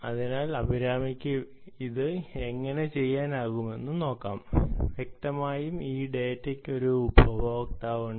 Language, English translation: Malayalam, so let see how ah abhirami is able to do that and obviously there is a consumer for this data, right